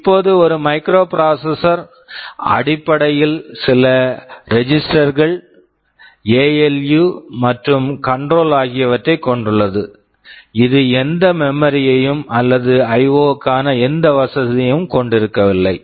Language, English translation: Tamil, Now, a microprocessor contains basically some registers, ALU and control; it does not contain any memory or any facility for IO